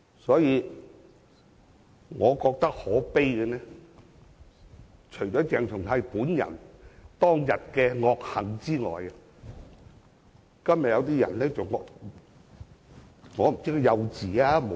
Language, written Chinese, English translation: Cantonese, 因此，我認為可悲的是，除了是鄭松泰本人當日的惡行外，就是今天某些人的看法。, Hence what I have found pathetic―apart from the malicious deeds of CHENG Chung - tai on that day―are the remarks made by certain people today